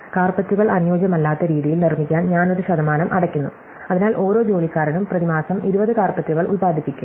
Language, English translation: Malayalam, So, I am paying a percent to make carpets it not set to ideal, so every employee will produce 20 carpets a month